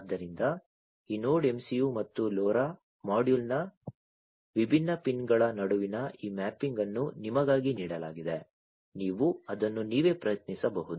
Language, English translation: Kannada, So, over here this mapping between the different pins of this Node MCU and the LoRa module are given for you, you can try it out yourselves